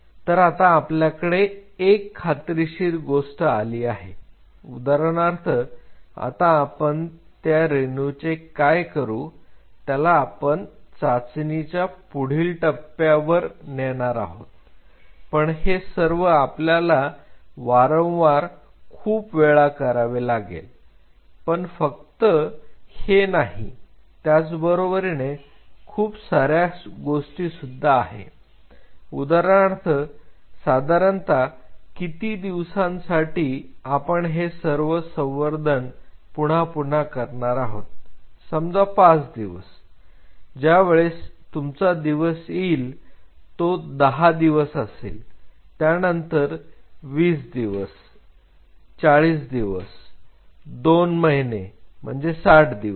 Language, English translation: Marathi, Now, we have this promising thing with say this one say for example, then what we will do this molecule will be taken for the next level of trial, but this has to be repeated several times, and not only that this has to be done over time window say for example, for how many days this acts say for example, this culture is this culture of say 5 days, when the assay day is being done 10 days 20 days 40 days 2 months 60 days ok